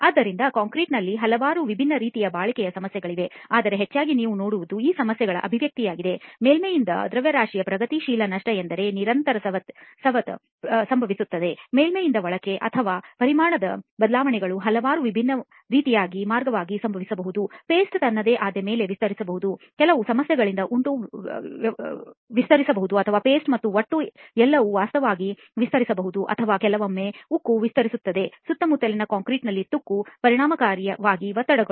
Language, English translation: Kannada, Alright, so there are several different types of durability problems that can happen in concrete, but mostly what you will see is the manifestation of these problems either is in the form of progressive loss of mass from the surface that means there is constant erosion that happens from the surface inwards, or there are volume changes which can happen in several different ways, the paste can expand on its own, the aggregate can expand because of certain issues or both paste and aggregate can actually expand or sometimes the steel expands because of corrosion and resultant stresses in the surrounding concrete